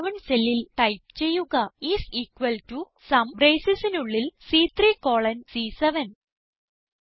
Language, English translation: Malayalam, In the cell C11 lets type is equal to SUM and within braces C3 colon C7